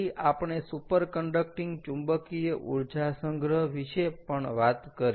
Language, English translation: Gujarati, then we also talked about superconducting magnetic energy storage